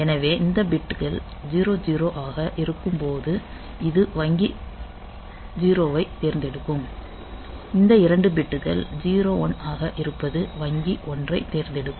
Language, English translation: Tamil, So, they being 0 0 it will select this bank 0 this 2 bits being 0 1 will select bank 1